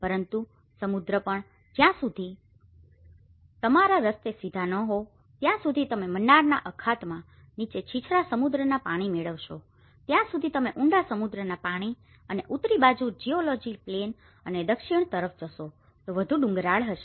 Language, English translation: Gujarati, But the sea also, until your path straight you have the shallow sea waters further down the Gulf of Mannar, you find the deep sea waters also the geography is more plain from the northern side and it’s more hilly towards the southern side